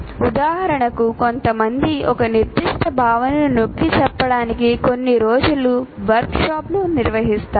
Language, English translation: Telugu, For example, some people conduct workshops to emphasize one particular concept and take one day workshop for that